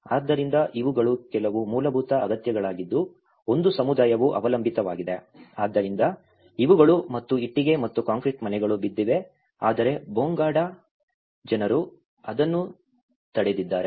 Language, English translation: Kannada, So, because these are some basic needs one a community relies upon, so these are and whereas brick and concrete house has fallen but as the Bonga have resisted